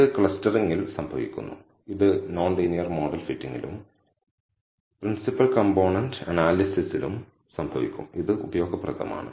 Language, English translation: Malayalam, This happens in clustering, this will happen in non linear model fitting and principal component analysis and so on and it is useful